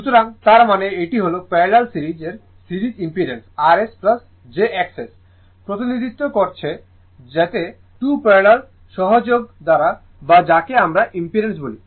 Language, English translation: Bengali, So; that means, this is that parallel your series series one series impedance R S plus jX S can be represented by 2 parallel connecting a or what we call impedance